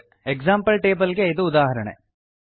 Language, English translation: Kannada, This is an example to, example table